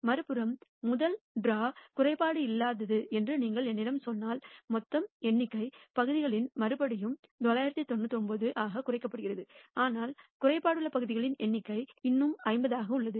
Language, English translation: Tamil, On the other hand, if you tell me that the first draw is non defective which means the total number of parts again as reduce to 999, but the number of defective parts in the pool still remains at 50